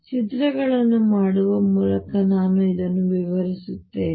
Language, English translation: Kannada, Let me explain this by making pictures